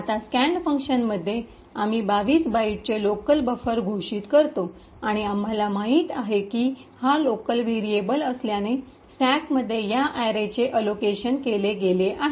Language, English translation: Marathi, Now in the scan function we declare a local buffer of 22 bytes and as we know since it is a local variable this array is allocated in the stack